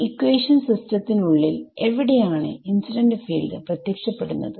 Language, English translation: Malayalam, Where does the incident field enter inside the system of equations